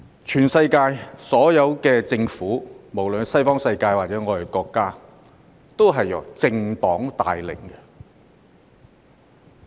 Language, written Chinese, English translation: Cantonese, 全世界所有政府，無論是西方世界或我們的國家，都是由政黨帶領的。, All governments around the world no matter in the Western world or in our own country are led by political parties . In the Western world political parties alternate in power